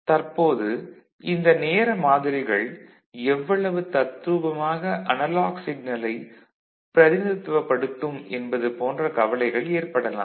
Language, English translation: Tamil, Now, there are concerns like how close these time samples will be to truthfully represent the analog signal